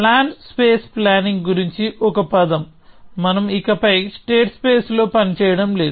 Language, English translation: Telugu, A word about plan space planning; so we are not working in the space of states anymore